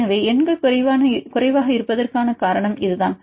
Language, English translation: Tamil, So, this is the reason why the numbers are less